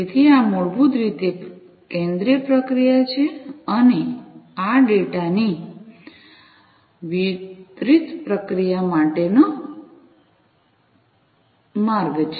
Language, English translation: Gujarati, So, this is basically the centralized processing, and this one is the pathway for the distributed processing of the data